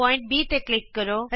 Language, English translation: Punjabi, It shows point C